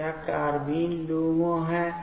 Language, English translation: Hindi, So, this is carbene LUMO